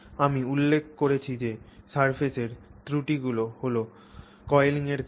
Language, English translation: Bengali, As I mentioned the surface defects is what causes the coiling